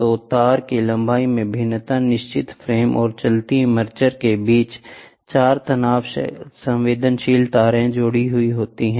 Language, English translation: Hindi, So, variation in the length of the wire, in between the fixed frame and the moving armature, four strain sensitive wires are connected